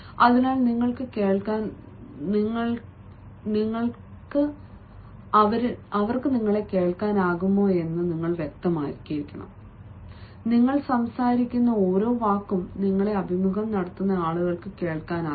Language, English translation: Malayalam, yo, your voice is a clear, it is distinct and every word that you speak is audible to the people who are interviewing you